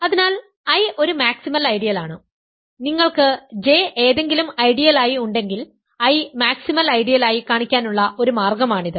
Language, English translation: Malayalam, So, I is a maximal ideal so, the one way to put this is I is maximal ideal if you have J is any ideal